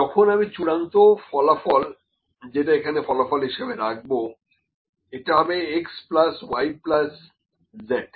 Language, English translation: Bengali, When the final outcome that is the I will put the resultant here, the resultant is equal to x plus y plus z